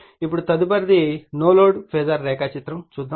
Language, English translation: Telugu, Now next is no load phasor diagram